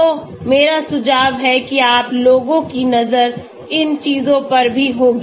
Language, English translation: Hindi, So I suggest you people have a look at these things also